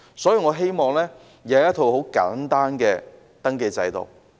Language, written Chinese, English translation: Cantonese, 所以，我希望有一套簡單的登記制度。, This is why I hope to put in place a simple registration system